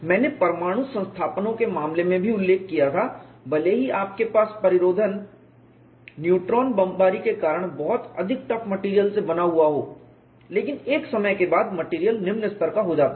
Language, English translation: Hindi, I had also mentioned in the case of nuclear installations, even though you have the containment made of very high tough materials because of neutron bombardment, over a period of time the material degrades